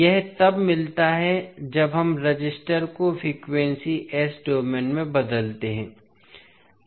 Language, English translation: Hindi, So, this we get when we convert resister into frequency s domain